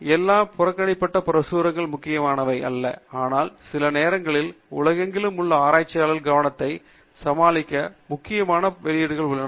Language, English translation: Tamil, Its not necessary that all the ignored publications are important, but then, may be sometimes there are very important and useful publications that have some how evaded the attention of lot of researchers across the world